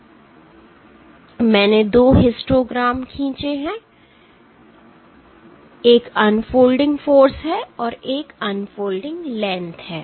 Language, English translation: Hindi, So, I have drawn 2 histograms one is the unfolding force and one is the unfolding length